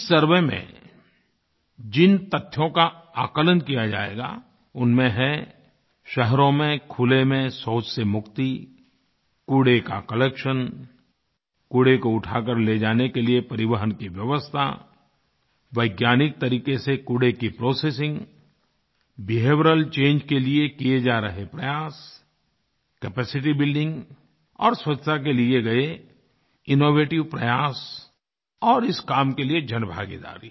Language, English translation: Hindi, During this survey, the matters to be surveyed include freedom from defecation in the open in cities, collection of garbage, transport facilities to lift garbage, processing of garbage using scientific methods, efforts to usher in behavioural changes, innovative steps taken for capacity building to maintain cleanliness and public participation in this campaign